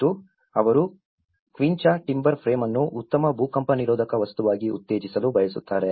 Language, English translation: Kannada, And they want to promote the quincha timber frame instead to be as a better earthquake resistant material